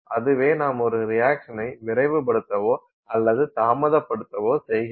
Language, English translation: Tamil, What are we doing that helps speed up a reaction or what are we doing that helps slow down a reaction